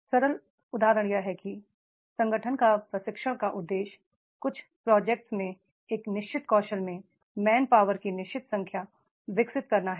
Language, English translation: Hindi, A simple example is that is organization's training objective is to develop the main, certain number of the main power in certain skills, in certain projects